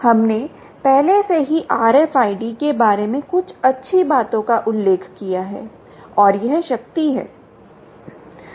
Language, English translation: Hindi, we already mentioned some nice things about r f i d and its power ah